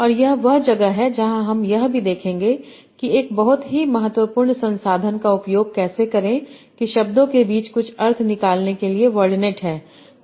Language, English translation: Hindi, And that's where we will also see how to use a very important resource that is word net for extracting meaning between words